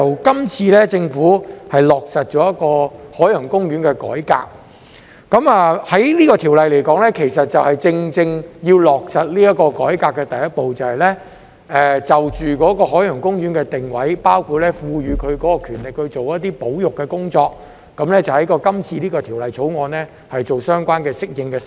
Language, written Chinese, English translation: Cantonese, 今次，政府落實了海洋公園的改革，而《條例草案》其實正正是落實這個改革的第一步，就着海洋公園的定位，包括賦予其權力進行一些保育工作，在今次的《條例草案》中作出相關的適應修訂。, This time the Government has spearheaded the reform of OP . In fact the Bill is the first step taken in implementing this reform . Relevant adaptation amendments will be made by virtue of the present Bill in respect of OPs positioning including empowering OP to carry out certain conservation work